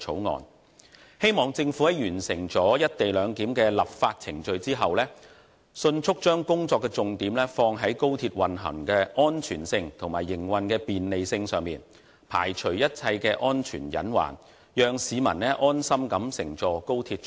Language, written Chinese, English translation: Cantonese, 我希望政府在完成"一地兩檢"的立法程序後，迅速把工作重點放在高鐵運行的安全性和營運的便利性上，排除一切安全隱患，讓市民安心乘坐高鐵出行。, I hope the Government will after completing the legislative procedures for the co - location arrangement promptly focus its work on the operational safety and convenience of XRL and eliminate all safety hazards so that members of the public will feel at ease when travelling by XRL